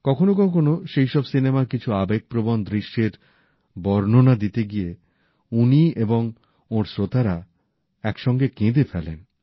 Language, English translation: Bengali, Sometimes while relating to an emotional scene, he, along with his listeners, cry together